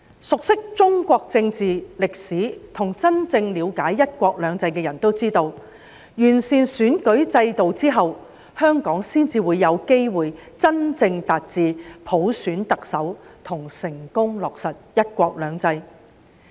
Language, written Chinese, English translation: Cantonese, 熟悉中國政治、歷史，以及真正了解"一國兩制"的人都知道，完善選舉制度後，香港才有機會真正達致普選特首及成功落實"一國兩制"。, Anyone who is familiar with the politics and history of China and truly understands one country two systems knows that only after the electoral system is improved will Hong Kong have the chance to truly achieve the goal of electing the Chief Executive by universal suffrage and successfully implement one country two systems